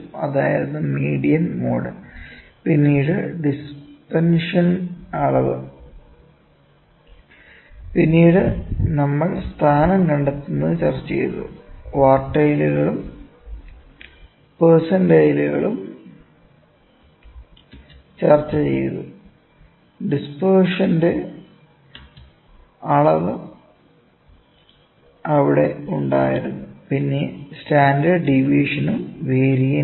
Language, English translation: Malayalam, That was the central the mean, median, mode, then measure of dispersion, ok, then, we discussed locate the position, we discussed quartiles and percentiles, measure of dispersion were then range and standard deviation, variance